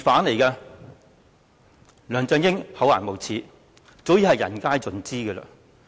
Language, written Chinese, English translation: Cantonese, 梁振英厚顏無耻早已人盡皆知。, Everyone knows that LEUNG Chun - ying is shameless